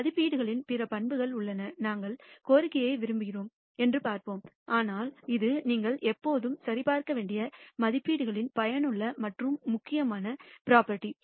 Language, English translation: Tamil, There are other properties of estimates we will see that we want the demand, but this is an useful and important property of estimates that you should always check